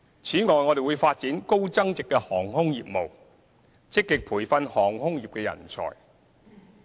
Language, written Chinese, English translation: Cantonese, 此外，我們會發展高增值的航空業務，積極培訓航空業人才。, Moreover we will develop high value - added aviation business and actively train aviation personnel